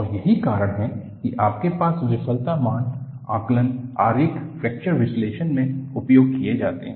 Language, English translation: Hindi, And, that is the reason, why you have failure assessment diagrams are used in fracture analysis